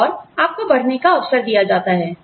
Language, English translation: Hindi, And, you are given an opportunity, to grow